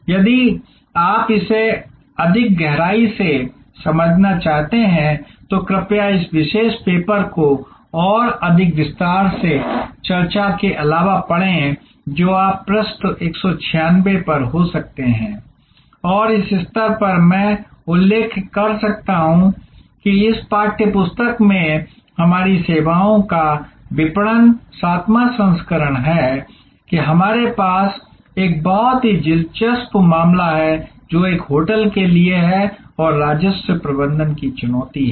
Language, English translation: Hindi, So, if you want to understand it in greater depth then please read this particular paper in addition to the more detail discussion that you can have at page 196 and at this stage I might mention that in this text book that is our services marketing seventh edition we have a very interesting case, which is for a hotel and there challenge of revenue management